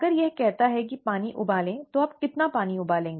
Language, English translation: Hindi, If it says boil water, how much water do you boil